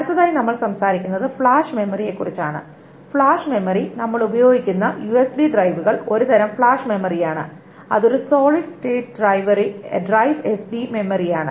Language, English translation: Malayalam, Flash memory, the USB drives that you use is a type of flash memory, the solid state drive, SSD memory